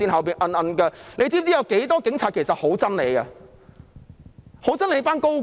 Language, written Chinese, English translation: Cantonese, 她知否有很多警察其實很憎恨她及一眾高官？, Does she know that a number of police officers actually detest her and her team of senior officials?